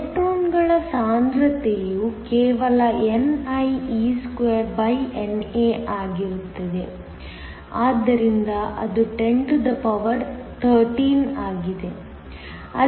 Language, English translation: Kannada, The concentration of electrons will be just nie2NA so that is 103